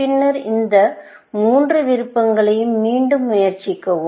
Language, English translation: Tamil, Then, you try these three options, again